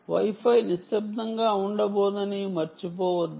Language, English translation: Telugu, ok, dont forget, wifi is not going to keep quiet